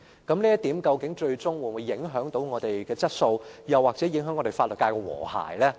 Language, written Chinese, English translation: Cantonese, 究竟這項建議會否影響我們的質素或法律界的和諧？, Will this proposal affect the quality or harmony of our legal profession?